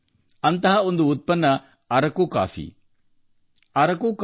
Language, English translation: Kannada, One such product is Araku coffee